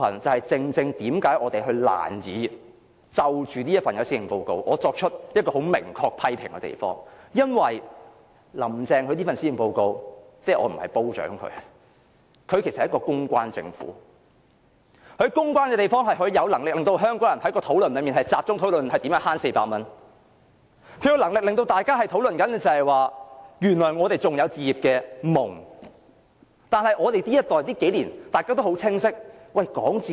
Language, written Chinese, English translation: Cantonese, 這正是我們難以就這份施政報告作出明確批評的原因，因為"林鄭"這份施政報告，我不是誇獎她，她其實是一個公關政府，她善於公關的地方，是她有能力令香港人的討論焦點放到如何節省400元，她有能力令大家討論原來我們還有置業夢，但我們這一代要在這數年討論置業？, That reason is exactly the reason why we can hardly make clear criticism on this Policy Address . This Policy Address of Carrie LAM―I am not praising her but actually she has an administration that is good at public relations and she is good at public relations because she can make the discussion of Hong Kong people focus on how to save 400 and she has the ability to make us discuss our long abandoned but now salvageable dream of owning a home . But you want our generation to discuss in the next few years on how to buy a property?